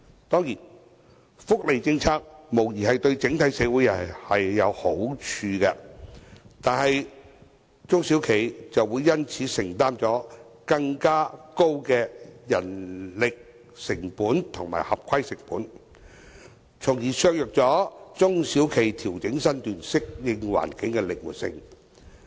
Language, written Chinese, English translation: Cantonese, 當然，福利政策無疑對整體社會有好處，但中小企卻會因此承擔更高人力成本和合規成本，從而削弱中小企調整身段，適應環境的靈活性。, Certainly welfare policies are beneficial to the community as a whole but SMEs will have to bear higher manpower costs and compliance costs . Hence SMEs flexibility to adjust their business practices to adapt to the environment will be undermined